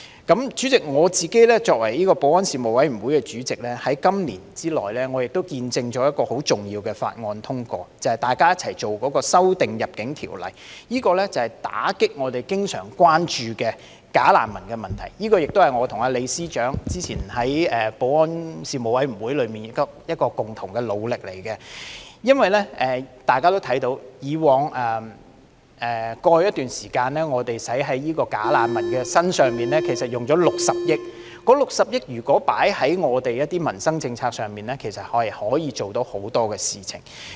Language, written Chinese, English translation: Cantonese, 代理主席，我作為立法會保安事務委員會的主席，在今年內，我亦見證了一項很重要的法案通過，便是大家共同審議的對《入境條例》的修訂，是為打擊我們經常關注的假難民問題——這亦是我和李司長早前在保安事務委員會的共同努力——因為大家也看到，在過去一段時間，我們在假難民身上共花了60億元，這60億元如果投放在民生政策上，其實可以處理很多事情。, Deputy President as Chairman of the Panel on Security of the Legislative Council I have also witnessed the passage of a very important bill this year namely the amendment to the Immigration Ordinance which we have scrutinized together . It seeks to combat the problem of bogus refugees which has always been our concern . This is also a joint effort made earlier by Chief Secretary LEE and me on the Panel on Security considering that as evident to all over some time past we have spent a total of 6 billion on bogus refugees and had this 6 billion been dedicated to policies on peoples livelihood actually many matters could have been dealt with